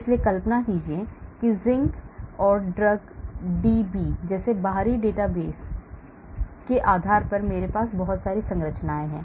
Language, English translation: Hindi, so imagine I have lot of structures based on external databases like Zinc and drug DB